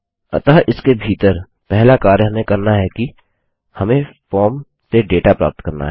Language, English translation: Hindi, So inside here the first thing we need to do is get the data from the form